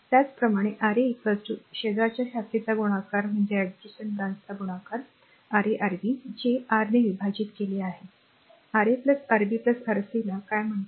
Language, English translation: Marathi, Similarly R 3 is equal to product of the adjacent branch that is Ra Rb divided by your; what you call Ra plus Rb plus Rc right